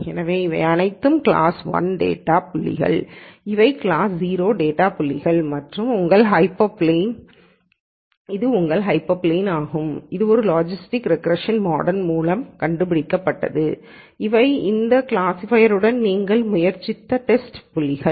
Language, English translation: Tamil, So, these are all class 1 data points these are class 0 data points and this is your hyperplane that a logistic regression model figured out and these are the test points that we tried with this classifier